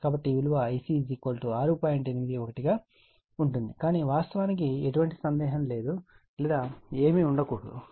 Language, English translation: Telugu, 81 but actually, there should not be any doubt or anything